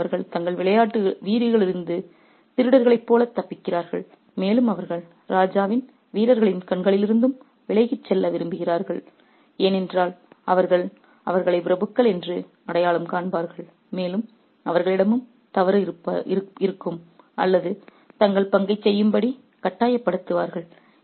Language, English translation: Tamil, So, they escape like thieves from their homes and they want to get away from the eyes of the king's soldiers as well because they will identify them as aristocrats and also find fault with them or maybe even force them to do their part